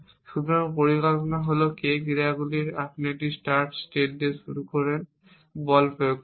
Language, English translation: Bengali, So, the plan is of k actions you begin with a start set apply the force action